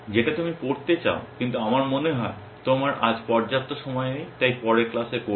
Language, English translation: Bengali, Which is what you want to study, but I think you do not have enough time today so, we will do it in the next class